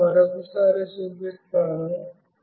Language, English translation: Telugu, I will show once more